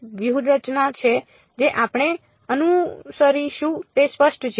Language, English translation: Gujarati, So, that is the strategy that we will follow is it clear